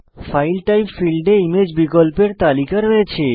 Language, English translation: Bengali, File Type field has a list of image options